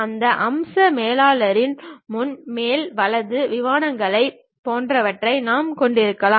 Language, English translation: Tamil, In that feature manager, we might be having something like front, top, right planes